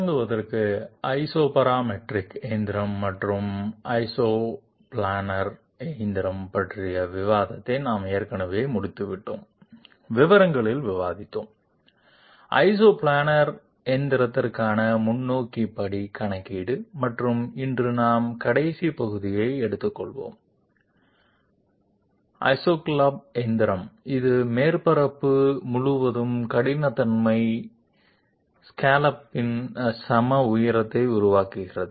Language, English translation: Tamil, To start with, we have already finished the discussion on Isoparametric machining and isoplanar machining, we have discussed in details um, forward step calculation for Isoplanar machining and today we will be taking up the last part Isoscallop machining, which produces equal height of roughness scallop all through the surface